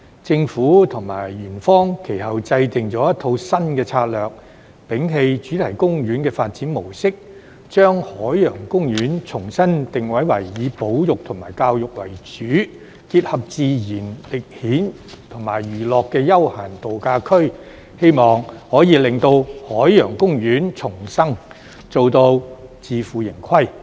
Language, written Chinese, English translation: Cantonese, 政府及園方其後制訂了一套新策略，摒棄主題公園的發展模式，將海洋公園重新定位為以保育和教育為主、結合自然、歷險和娛樂的休閒度假區，希望可以令海洋公園重生，達至自負盈虧。, Subsequently the Government and Ocean Park formulated a new strategy by abandoning the theme park development approach and repositioning Ocean Park as a leisure resort with a focus on conservation and education grounded in nature and complemented by adventure and entertainment elements in the hope that Ocean Park could be revived and achieve financial sustainability